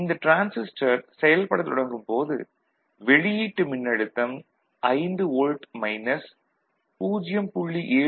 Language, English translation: Tamil, And at that time, then output voltage will be 5 volt minus 0